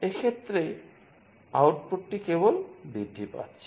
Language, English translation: Bengali, In this case, the output is just getting incremented